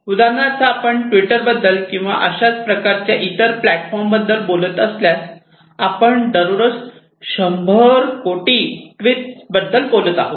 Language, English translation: Marathi, Then if you are talking about velocity, if you talk about twitter for example, or similar kind of other platforms we are talking about some 100s of millions of tweets, on average per day